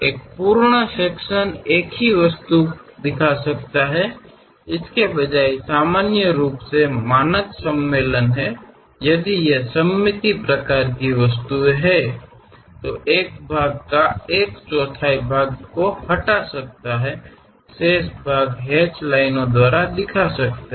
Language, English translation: Hindi, One can have a full section show the same object, instead of that usual the standard convention is; if these are symmetric kind of objects, one quarter of the portion one can really remove it, the remaining portion one can show it by hatched lines